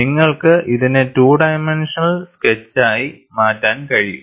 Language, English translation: Malayalam, You can always make it as two dimensional sketch